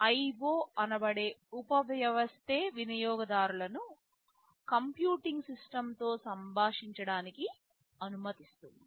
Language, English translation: Telugu, The IO subsystem allows users to interact with the computing system